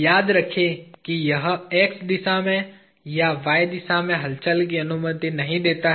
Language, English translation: Hindi, Remember it does not allow movement, either in x direction or in y direction